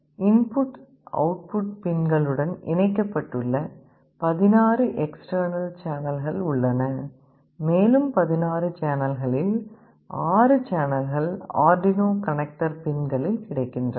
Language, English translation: Tamil, There are 16 external channels that are connected to the input/output pins and out of the 16 channels, 6 of them are available on the Arduino connector pins